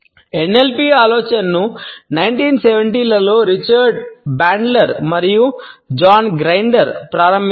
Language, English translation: Telugu, The idea of NLP was started in 1970s by Richard Bandler and John Grinder